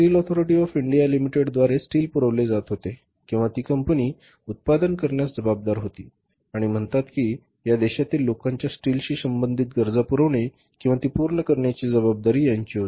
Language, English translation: Marathi, Steel Authority of India limited was providing the steel or was responsible for manufacturing and say providing or fulfilling the steel related requirement of the people of this country